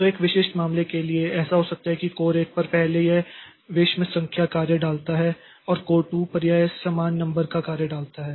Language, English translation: Hindi, So, for a typical case may be like this, that in core one it first, on core one it puts the odd numbered jobs and on core two it puts the even numbered jobs